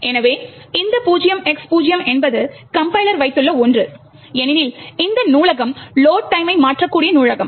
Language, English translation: Tamil, So, this 0X0 is something what the compiler has put in because, this library is Load Time Relocatable library